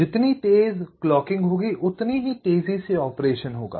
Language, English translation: Hindi, faster the clock, faster would be the operation